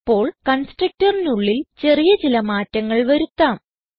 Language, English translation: Malayalam, Now, let us make a small change inside the constructor